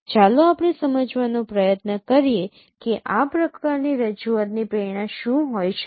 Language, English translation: Gujarati, Let us try to understand that what could be the motivation of this kind of representation